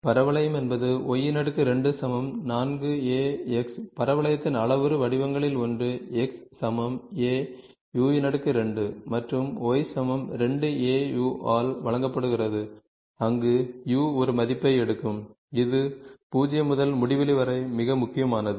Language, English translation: Tamil, So, Parabola, parabola is y square equal to 4 a x, one of the parametric form of the parabola is given by x equal to a u square and y equal to 2 a u where u takes a value this is very important 0 to infinity